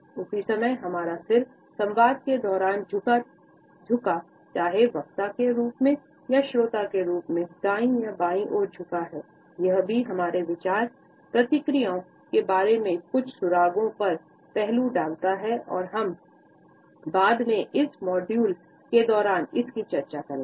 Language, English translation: Hindi, At the same time whether our head is tilted towards the right or towards the left during a dialogue, as a speaker or as a listener also passes on certain clues about our thought processes this aspect I would take up slightly later during this module